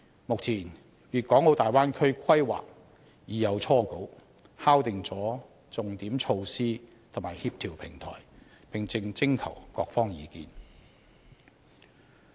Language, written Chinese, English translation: Cantonese, 目前，大灣區規劃已有初稿，敲定重點措施和協調平台，並正徵求各方意見。, At present a draft development plan for the Bay Area with key measures and coordination platform has been drawn and various sectors are being consulted